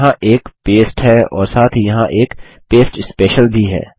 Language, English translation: Hindi, There is a paste and also there is a Paste Special